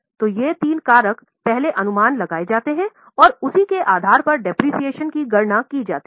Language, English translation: Hindi, So, these three factors are first estimated and based on that the depreciation is calculated